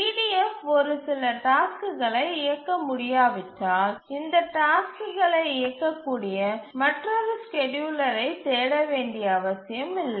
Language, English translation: Tamil, So, if EDF cannot run a set of tasks, it is not necessary to look for another scheduler which can run this task because there will exist no scheduler which can run it